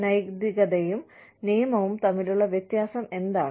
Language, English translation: Malayalam, What is the difference between ethics and the law